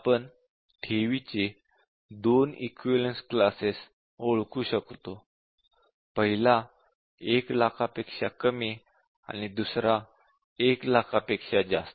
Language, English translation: Marathi, We can identify two equivalence classes of principal; one is less than 1 lakh and the other is more than 1 lakh